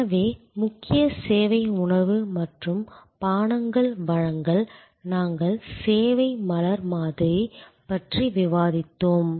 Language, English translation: Tamil, So, the core service is supply of food and beverage, we had discussed that model of flower of service